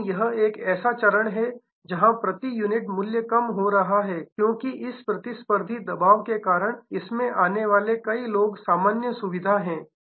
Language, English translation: Hindi, But, this is stage where price per unit is going down, because of this competitive pressure many people coming in this is the normal feature